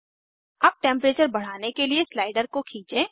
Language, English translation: Hindi, Let us drag the slider to increase the temperature